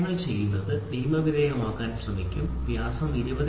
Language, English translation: Malayalam, So, what we do is we try to legalize and say diameter 20